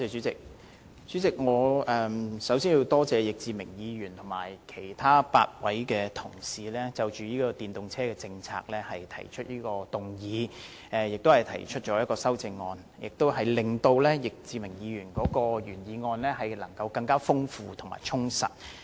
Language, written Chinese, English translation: Cantonese, 主席，我首先多謝易志明議員和其他8位議員就電動車政策提出議案和修正案，令易志明議員提出的原議案更加豐富和充實。, President first I thank Mr Frankie YICK for moving a motion about the policy on electric vehicles EVs . I also thank the eight Members for moving various amendments that enrich and add more substance to the original motion